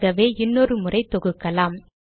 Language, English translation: Tamil, So let us compile once again